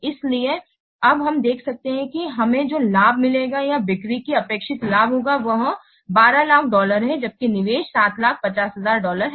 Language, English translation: Hindi, So now we can see that the benefit that we will get is or the expected sales, the benefit is coming to be $12,000 whereas the investment is $7,000 dollar